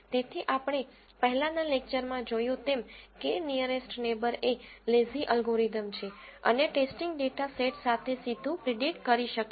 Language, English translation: Gujarati, So, as we have seen in the previous lecture, K nearest neighbour is a lazy algorithm and can do prediction directly with the testing data set